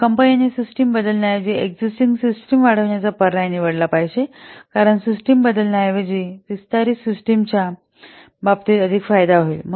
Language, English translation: Marathi, So, the company should choose the option of extending the existing system rather than replacing the system because the benefit will be more in case of extending system rather than replacing the system